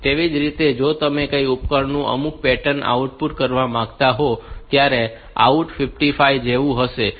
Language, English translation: Gujarati, Similarly, if you want to output some a pattern to a device, you have to say like out say 55